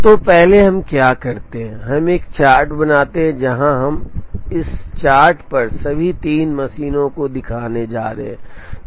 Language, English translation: Hindi, So, what we do first is we make a chart where, we are now going to show all the 3 machines on this chart